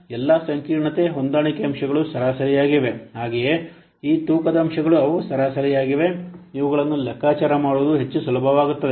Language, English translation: Kannada, So, all the complexity adjustment factors are avaraged as well as these weighting factors they are average